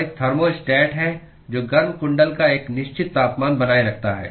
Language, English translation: Hindi, And there is a thermostat which maintains a certain temperature of the heating coil